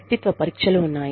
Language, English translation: Telugu, There are personality tests